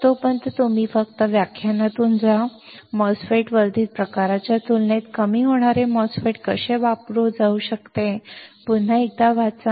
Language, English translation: Marathi, So, till then, you just go through the lecture, read it once again how the depletion MOSFET can be used compared to enhancement type MOSFET